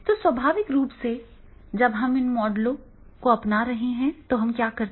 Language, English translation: Hindi, So, naturally whenever we are adopting those models, what we do